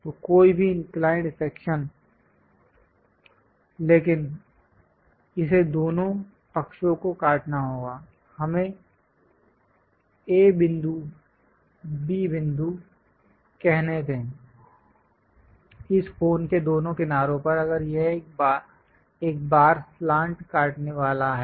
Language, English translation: Hindi, So, any inclined section, but it has to cut on both the sides let us call A point, B point; on both sides of this cone if it is going to cut the slant once